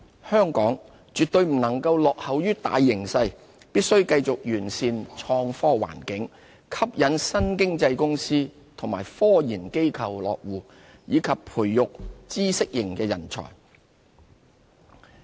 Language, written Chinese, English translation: Cantonese, 香港絕不能落後於大形勢，必須繼續完善創科環境、吸引新經濟公司和科研機構落戶，以及培育知識型人才。, To stay ahead of the game we must enhance our IT environment attract companies from new economy sectors and research institutions to set up their presence in Hong Kong and nurture talent for a knowledge - based economy